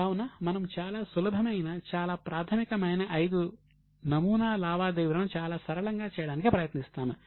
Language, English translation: Telugu, So, we are just trying to make it very simple for five sample transactions, which are very easy transactions, but very basic